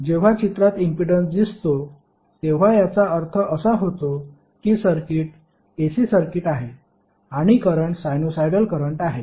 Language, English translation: Marathi, So whenever the impedance terms into the picture it means that the circuit is AC circuit and the current is sinusoidal current